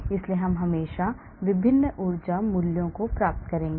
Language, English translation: Hindi, so we will always get different energy values